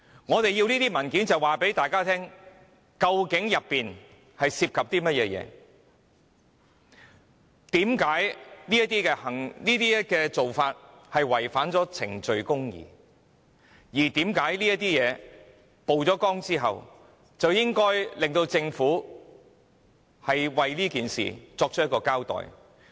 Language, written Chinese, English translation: Cantonese, 我們索取這些文件是要告訴大家，當中涉及甚麼內容；為何這樣做會違反程序公義，以及有必要在事件曝光後，迫使政府作出交代。, We seek to obtain the documents to tell the public of the details; of the reasons why procedural justice has been violated and the reasons why we have to press the Government to give an account after the incident came to light